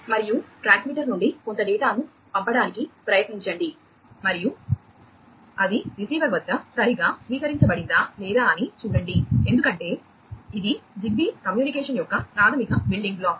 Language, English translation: Telugu, And try to send some data from the transmitter and see whether it has been correctly received at the receiver or not, because that is the basic building block for ZigBee communication